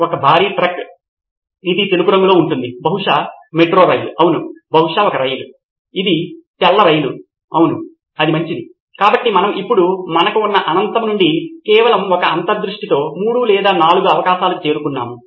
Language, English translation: Telugu, A massive truck, which is white in color, maybe a metro train yeah, maybe a train itself, a white train yeah, that’s the good one, so now we are down to 3 or 4 possibilities that’s it, from the infinite that we had with just one insight